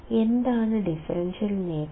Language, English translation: Malayalam, What is the differential gain